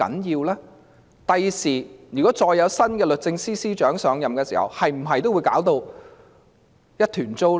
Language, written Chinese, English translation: Cantonese, 如果將來再有新的律政司司長上任，會否也是一團糟？, Should there be a new Secretary for Justice in future will the appointment also be so messy?